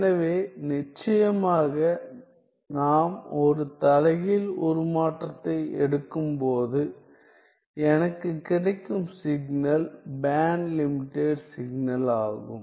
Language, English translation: Tamil, So, then of course, when we take an inverse transform, I get that the signal is the band limited signal